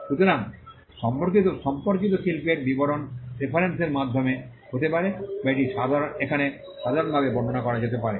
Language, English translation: Bengali, So, description of the related art could be through reference or it could also be through a general way as it is described here